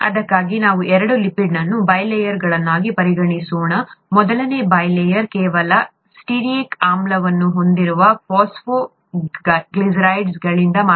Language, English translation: Kannada, For that, let us consider two lipid bi layers; the first bi layer is made up of phosphoglycerides containing only stearic acid, okay, C18